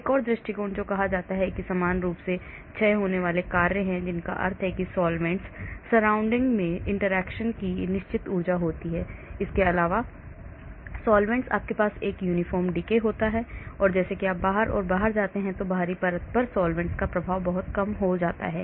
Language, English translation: Hindi, another approach which is said is uniformly decaying function that means the solvents surround immediately has certain energy of interaction, solvents beyond that, you have a uniform decay and as you go out and out and out the effect of the solvents on the outer layer is much less